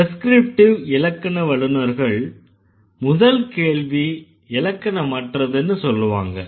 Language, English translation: Tamil, The prescriptive grammarians will say the first sentence is ungrammatical